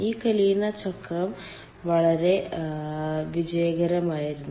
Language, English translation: Malayalam, this kalina cycle has been made very successful